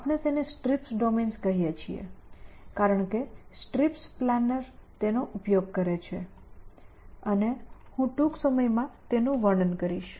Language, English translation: Gujarati, We call them strips domains because that is what this strips planner use essentially and I will describe them in a short way